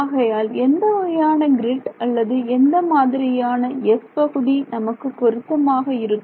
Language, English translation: Tamil, So, what kind of a grid or what kind of a region S will be suitable now